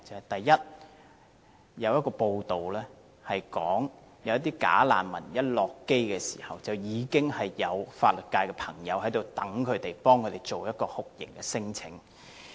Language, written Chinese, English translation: Cantonese, 第一，有報道指出一些"假難民"甫下機，便已有法律界人士在場等候，替他們提出酷刑聲請。, First of all according to some news reports once bogus refugees got off the plane at the airport they were approached by some members of the legal sector waiting there who offered to lodge a torture claim for them